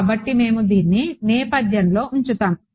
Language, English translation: Telugu, So, we will just keep this in the background ok